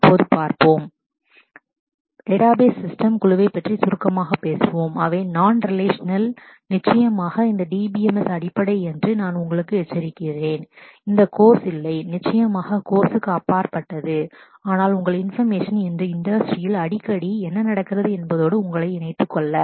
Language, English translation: Tamil, Now let us just move on and let us let me just briefly talk about the a group of database systems which are non relational and of course I would warn you that the basis for these DBMS is are not covered in this course, is beyond the course, but just for your information and to keep in keep you in tune with what is happening frequently around the industry today